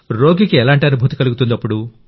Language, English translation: Telugu, What feeling does the patient get